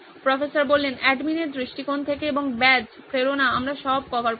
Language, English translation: Bengali, From the admin perspective, and the badges, motivation we covered